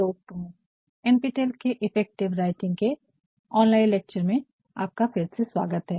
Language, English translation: Hindi, And, welcome back to NPTEL online lectures on effective writing